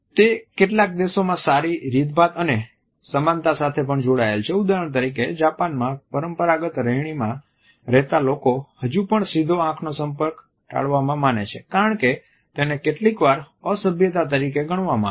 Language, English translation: Gujarati, It is also linked with good manners and likeability in some countries for example, in Japan, in traditional setups people are still encouraged to avoid a direct eye contact which may sometimes be understood as being rude